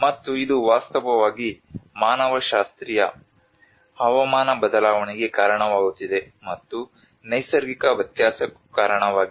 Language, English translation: Kannada, And which is actually causing the anthropogenic climate change and also the natural variability